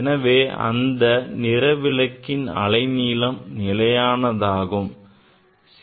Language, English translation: Tamil, That means, it has fixed wavelength